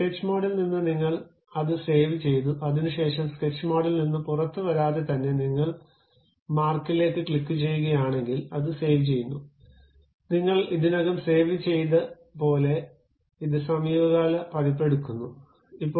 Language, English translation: Malayalam, In the sketch mode you saved it, after that you straight away without coming out of sketch mode and saving it if you click that into mark, it takes the recent version like you have already saved that is [FL]